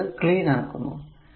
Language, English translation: Malayalam, So, let me clean it right